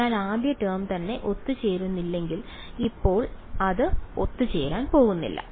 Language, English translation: Malayalam, So, if the first term itself does not converge there is no point going for that now its not going to converge